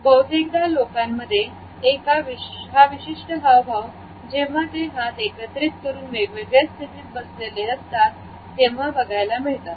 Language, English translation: Marathi, Often we come across a particular gesture among people, when they are sitting or sometimes standing over their hands clenched together in different positions